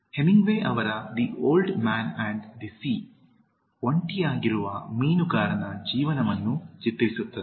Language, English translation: Kannada, Hemingway’s The Old Man and the Sea depicts the life of a lonely fisherman